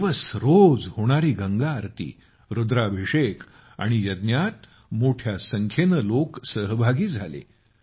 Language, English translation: Marathi, A large number of people participated in the Ganga Aarti, Rudrabhishek and Yajna that took place every day for three days